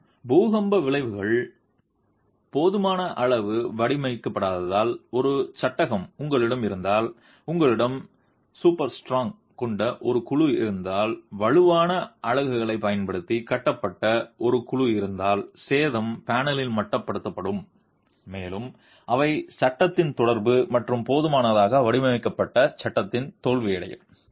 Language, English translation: Tamil, However, if you have a frame which is not designed adequately for earthquake effects and if you have a panel which is super strong, a panel which is built using strong units, then damage will be limited in the panel and there will be an effect because of the interaction on the frame and the inadequately designed frame can fail